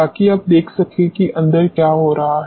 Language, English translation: Hindi, So, that you can observe what is happening inside